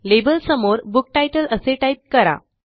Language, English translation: Marathi, Against label, type in Book Title